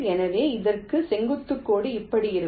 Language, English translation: Tamil, so on this, the perpendicular line will be like this